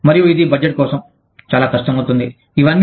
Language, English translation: Telugu, And, it becomes very difficult, to budget for, all this